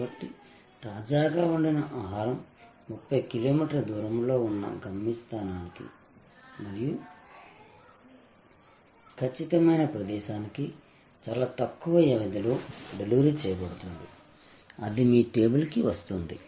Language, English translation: Telugu, So, freshly cooked food delivered in a very short span of time from a distance may be 30 kilometers away to a destination and precisely location, it comes to your table